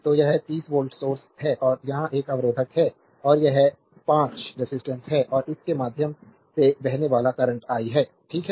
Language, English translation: Hindi, So, it is 30 volt source, and here one resistor is there and it is 5 ohm resistance and current flowing through this your is i, right